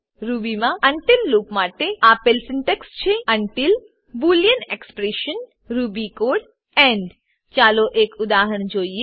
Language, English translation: Gujarati, The syntax for the until loop in Ruby is until boolean expression ruby code end Let us look at an example